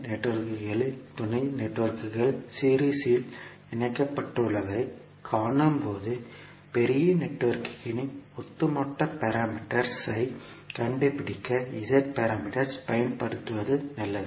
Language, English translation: Tamil, So in that case where we see that the networks, sub networks are connected in series, it is better to utilise the Z parameters to find out the overall parameter of the larger network